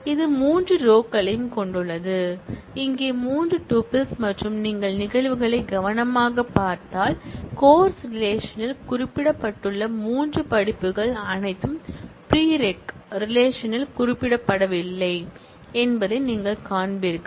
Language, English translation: Tamil, It also has three rows; three tuples here, and if you look at the instances carefully, you will find that the three courses that are specified in the course relation all are not specified in the prereq relation